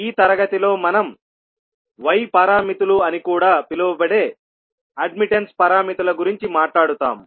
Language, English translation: Telugu, So in this class we will talk about admittance parameters which are also called as Y parameters